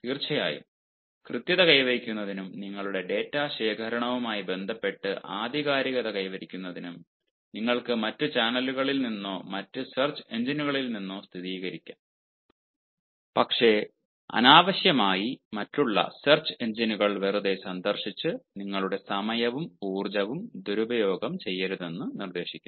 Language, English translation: Malayalam, of course, in order to have veracity and in order to have authenticity as regards your data collection, you may verify from other channels or from other search engines, but it is advised not to misuse your time and energy by unnecessarily ah visiting other search engines just for nothing